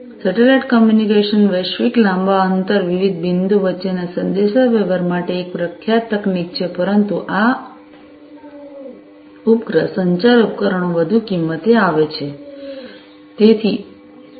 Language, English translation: Gujarati, Satellite Communication is a well known technology, for offering global, long range, communication between different points, but these satellite communication devices come at higher cost